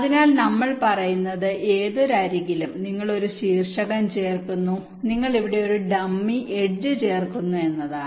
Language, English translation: Malayalam, so what we are saying is that in anyone of the edges you add a vertex and we add a dummy edge here, so this is no longer a complex triangle